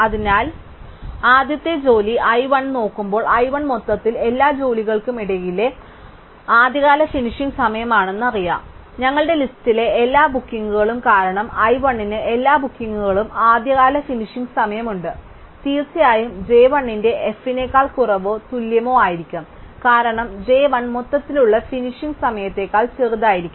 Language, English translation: Malayalam, So, when we look at the first job i 1, we know that i 1 is overall the earliest finish time among all the jobs, all the bookings in our list, since i 1 has the earliest finish time over all the bookings, it must definitely be less than or equal to f of j 1, because j 1 cannot be smaller than the overall finish time